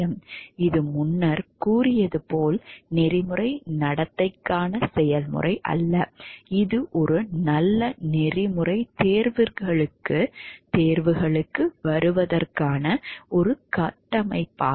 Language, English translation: Tamil, It is not a recipe for ethical behavior as previously stated, it is only a framework for arriving at a good ethical choices